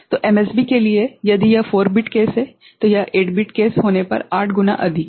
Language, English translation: Hindi, So, for MSB, if it is a 4 bit case, it is 8 times more if it is 8 bit case right